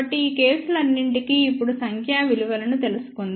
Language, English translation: Telugu, So, for all these cases now let us find out the numeric values